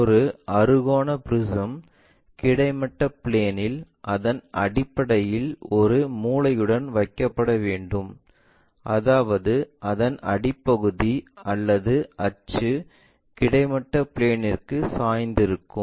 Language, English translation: Tamil, A hexagonal prism has to be placed with a corner on base of the horizontal plane, such that base or axis is inclined to horizontal plane